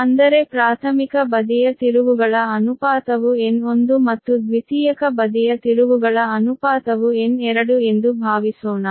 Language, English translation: Kannada, that is suppose primary side trans ratio is n one and secondary side trans ratio is n two